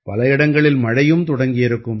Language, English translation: Tamil, It would have also start raining at some places